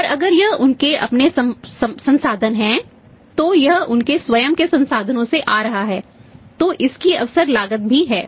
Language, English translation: Hindi, And if it is their own resources it is coming from their own resources that it also has the opportunity cost